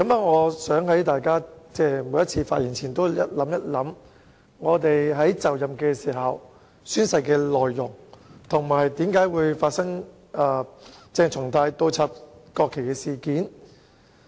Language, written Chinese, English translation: Cantonese, 我希望大家在每次發言前也想一想，我們宣誓就任時的誓言內容，以及發生鄭松泰倒插國旗事件的原因。, I hope that each time before they speak they will think about the contents of the oaths taken when they assumed office and the causes of the incident of inverting the national flags by CHENG Chung - tai